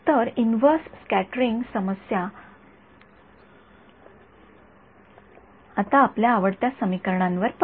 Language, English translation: Marathi, So, the inverse scattering problem now back to our favorite equation right